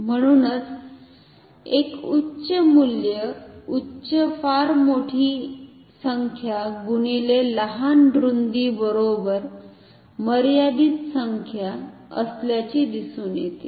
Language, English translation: Marathi, Therefore, a high value high very large height multiplied by a very small width that is comes out to be a finite number it is neither 0 nor infinity